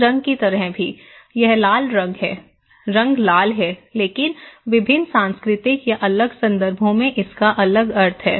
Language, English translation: Hindi, so, also like this colour; red colour, the colour is red but it has different meaning in different cultural or different context